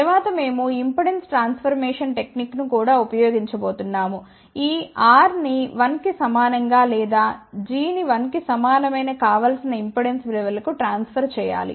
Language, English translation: Telugu, Later on we are going to use impedance transformation technique also; to transfer this R equal to 1 or g equal to 1 over here to the desired impedance values